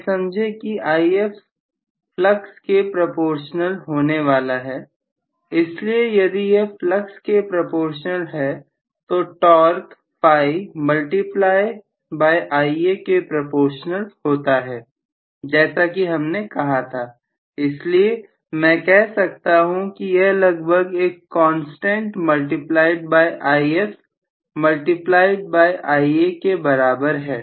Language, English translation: Hindi, please understand that IF is going to be somewhat proportional to the flux, so if this is proportional to the flux, the torque is proportional to phi multiplied by Ia this is what we said, so I can say indirectly this is approximately equal to some constant multiplied by IF multiplied by Ia